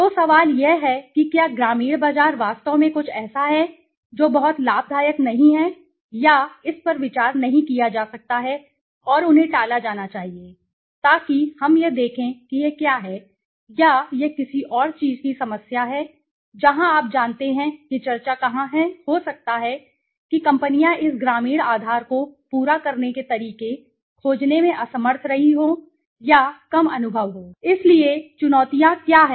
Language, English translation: Hindi, So, the question is, Is the rural market really something that is not very profitable or thought to be looked up to and they should be avoided so let us see what or this is a problem of something else that where you know the discussion comes is may be, may be companies have been unable or may be less innovative to find ways to cater to this rural base okay so what are challenges